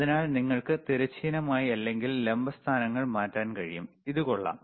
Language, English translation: Malayalam, So, you can change the horizontal, you can change the vertical positions ok, this nice